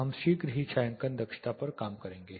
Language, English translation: Hindi, We will work on the shading efficiency shortly